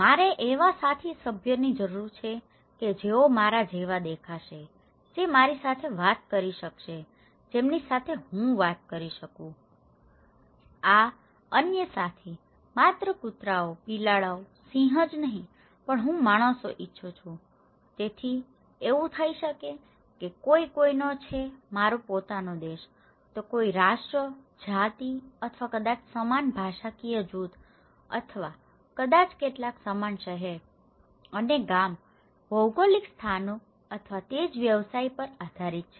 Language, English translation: Gujarati, I need fellow members who look like me, who can talk to me and with whom I can interact with so, this other fellow, not only dogs, cats, lions but I want the human being right, so it could be that someone is from my own country, it depends on someone's nations, race or maybe same linguistic group or maybe some coming from the same town and village, geographical locations or same occupations